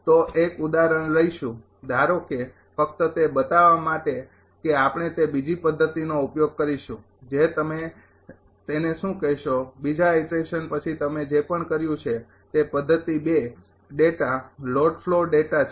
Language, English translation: Gujarati, So, will take an example suppose just ah to show you that we will use that second method second ah ah your what you call after second iteration whatever you have done that method 2 data load flow data